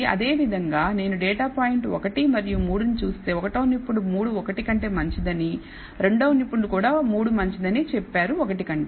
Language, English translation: Telugu, Similarly if I look at the data point 1 and 3 expert 1 says it is better 3 is better than 1, expert 2 also says 3 is better than 1